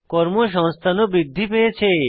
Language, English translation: Bengali, And Employment has increased